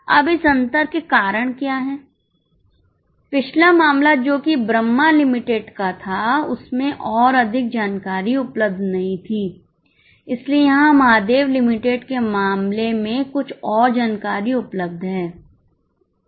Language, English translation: Hindi, Now, what are the causes of this difference in the last case that is Brahma Limited no more information was available but here in case of Mahadev Limited some more information is available